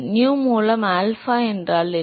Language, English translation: Tamil, What is alpha by nu